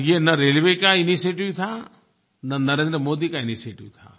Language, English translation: Hindi, This was neither the initiative of the Railways nor Narendra Modi